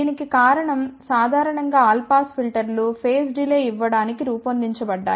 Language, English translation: Telugu, The reason for that is in general all pass filters are designed for providing a phase delay